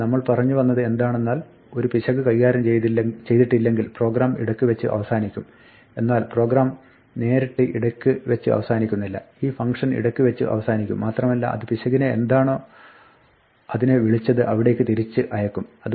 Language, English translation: Malayalam, So, what happens we said is when an error is not handled the program aborts, but the program does not directly abort; this function will abort and it will transfer the error back to whatever called it